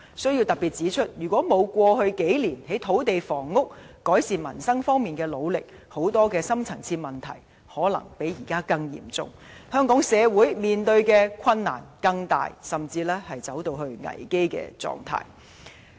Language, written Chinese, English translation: Cantonese, 我要特別指出，如果沒有政府過去數年在土地房屋、改善民生方面的努力，很多深層次問題可能較現在更嚴重，香港社會所面對的困難會更大，甚至惡化至危機狀態。, In particular I have to point out that many deep - rooted problems would have worsened if the Government had not made such efforts in land and housing and the peoples livelihood over the last few years and the situation in Hong Kong would have deteriorated even turned into a crisis